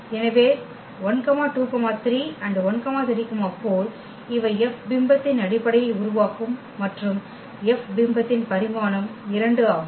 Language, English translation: Tamil, So, 1 2 3 and 1 3 4 these will form the basis of the image F and the dimension of the image F is 2